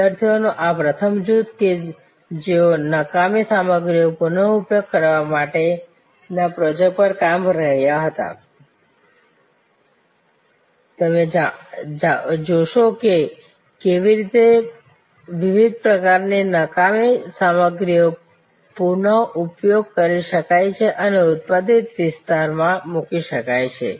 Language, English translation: Gujarati, This first group of students who were working on the so call project of treasure from trash, you will looking at how waste material of different types can be reused and put to productive area